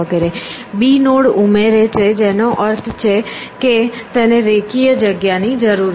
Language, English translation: Gujarati, Adds b nodes which means this space required goes linearly